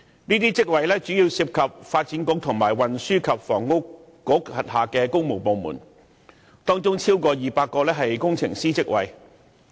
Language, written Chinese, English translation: Cantonese, 這些職位主要涉及發展局和運輸及房屋局轄下的工務部門，當中超過200個為工程師職位。, These posts primarily come under the works divisions within the Development Bureau and the Transport and Housing Bureau with more than 200 of them are engineer positions